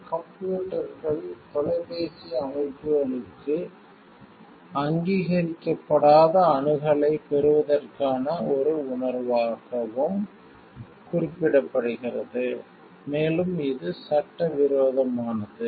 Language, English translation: Tamil, It is also referred to a sense to gaining unauthorized access to computers, phone systems and so on which is illegal